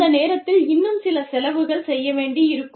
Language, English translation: Tamil, And, at that point, some more costs may, need to be incurred